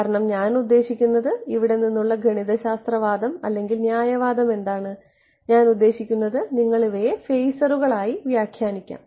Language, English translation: Malayalam, Because I mean what is the mathematical argument or reasoning from here; I mean you can interpret these as phasors